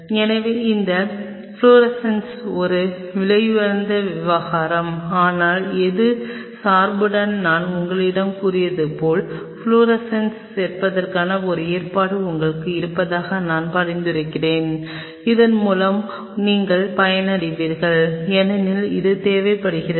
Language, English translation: Tamil, So, this fluorescent assembly is a costly affair, but as I told you with my biasness I will recommend you have a provision for adding fluorescence you will be benefited by it do not leave it because this is needed